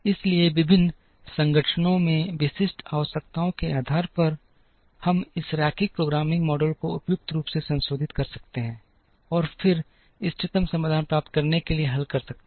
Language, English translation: Hindi, So, depending on the specific requirements in the various organizations, we can modify this linear programming model suitably, and then solve to get to the optimum solution